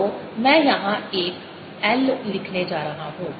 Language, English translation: Hindi, so i am going to put an l out here